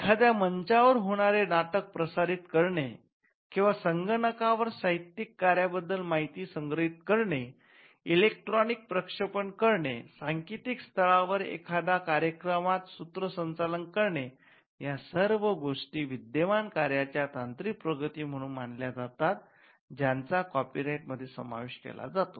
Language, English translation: Marathi, For instance, broadcasting the play which happens on a stage or storing information about a literary work on a computer or electronic transmission or hosting the work on a website all these things are regarded as technological developments of an existing work they are also covered by copyright